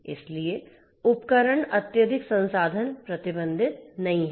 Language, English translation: Hindi, So, the devices are not highly resource constrained